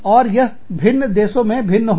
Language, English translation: Hindi, And, this could be different, in different countries